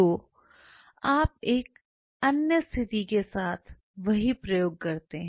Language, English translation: Hindi, So, you do the same experiment with another situation